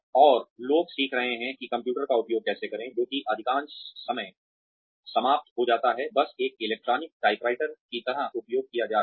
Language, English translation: Hindi, And, people are learning how to use the computer, which most of the times ends up, just being used, like an electronic typewriter